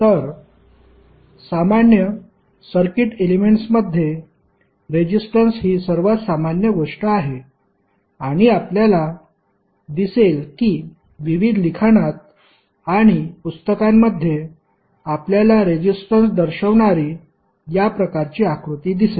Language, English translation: Marathi, So, in common circuit elements, resistance is one of the most common and you will see that in the various literature and books, you will see this kind of figure represented for the resistance